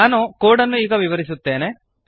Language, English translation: Kannada, Let us go through the code